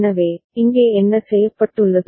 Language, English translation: Tamil, So, what has been done here